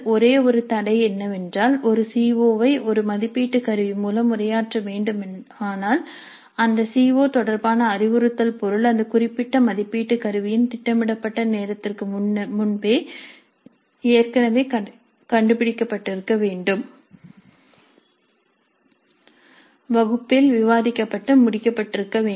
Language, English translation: Tamil, So the only constraint is that if a CO is to be addressed by an assessment instrument, the instructional material related to that COO must already have been uncovered, must have been discussed in the class and completed before the scheduled time of that particular assessment instrument